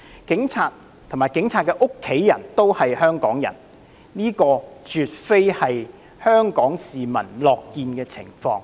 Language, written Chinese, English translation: Cantonese, 警察和警察的家人也是香港人，這絕非香港市民樂見的情況。, That is absolutely not what the people of Hong Kong wish to see given that police officers and their families are Hongkongers too